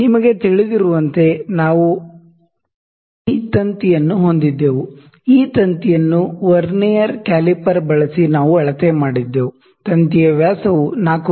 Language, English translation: Kannada, So, as you know we had that wire, the dia of which we measured using venire caliper this wire the dia of the wire is 4 mm